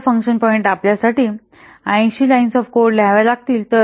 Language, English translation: Marathi, That means per function point there can be 70 lines of code